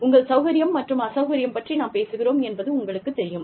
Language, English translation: Tamil, You know, we talk about, your levels of comfort and discomfort